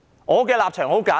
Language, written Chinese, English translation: Cantonese, 我的立場十分簡單。, My stance is very simple